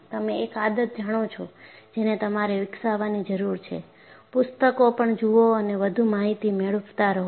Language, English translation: Gujarati, One of the habits that you have to develop is, look at, also the books and gain more information